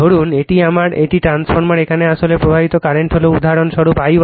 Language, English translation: Bengali, Suppose this is my, this is my transformer, right and current actually flowing here is say I 1 for example,